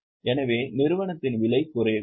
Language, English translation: Tamil, So, the price of the company may drop